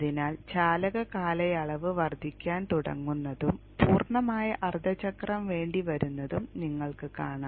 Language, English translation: Malayalam, So you will see the conduction period will start increasing and it will be for the complete half cycle